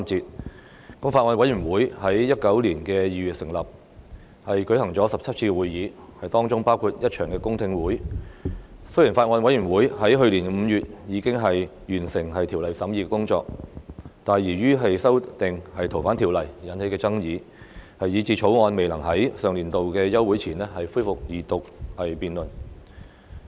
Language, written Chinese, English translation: Cantonese, 《國歌條例草案》委員會在2019年2月成立，舉行了17次會議，當中包括一場公聽會，雖然法案委員會在去年5月已經完成《條例草案》的審議工作，但由於修訂《逃犯條例》而引起的爭議，以致《條例草案》未能在上年度休會前恢復二讀辯論。, The Bills Committee on National Anthem Bill has held 17 meetings including a public hearing since its formation in February 2019 . Although the Bills Committee has completed the scrutiny of the Bill in May last year the Second Reading debate on the Bill could not be resumed before the recess of the Council due to the controversy arising from the amendments to the Fugitive Offenders Ordinance